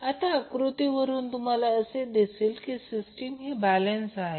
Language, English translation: Marathi, Now from this figure, you can observe that the system is balanced